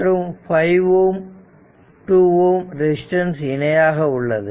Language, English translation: Tamil, So, and this is 8 ohm resistance